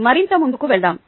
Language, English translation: Telugu, ok, let us move further